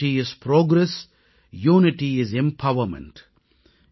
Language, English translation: Tamil, Unity is Progress, Unity is Empowerment,